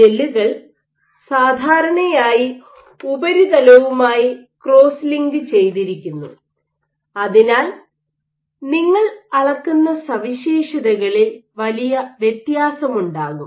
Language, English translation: Malayalam, So, gels are generally cross linked to the surface, the properties that you measure can vary greatly